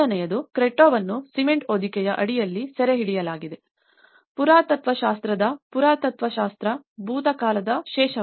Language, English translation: Kannada, The first one, the Cretto which is captured under the shroud of cement, archeology of the archaeology, as a remainder of the past